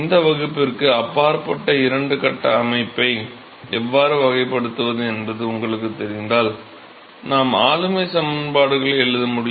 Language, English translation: Tamil, So, if you know how to characterize two phase system which is beyond the scope of this class, we should be able to write governing equations